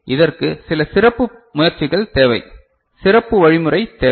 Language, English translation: Tamil, So, it requires some special efforts, special mechanism right